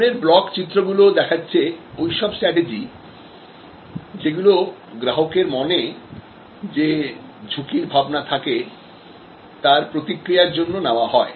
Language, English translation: Bengali, So, these block diagrams are all the strategies that respond to the customer's perception of risk